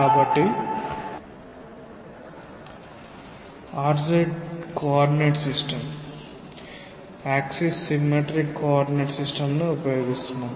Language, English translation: Telugu, So, we are using a r z coordinate system, axis symmetric coordinate system say this is r coordinate and along this there is z coordinate